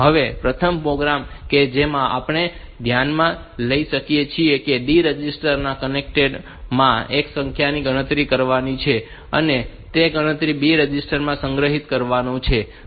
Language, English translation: Gujarati, The first program that we consider is to count number of ones in the content of D register, and store the count in the B register